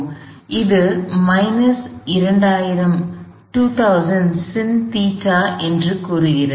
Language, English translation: Tamil, So, this says minus 2000 sin theta